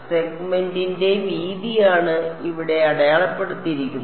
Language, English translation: Malayalam, So, just the length of the segment will come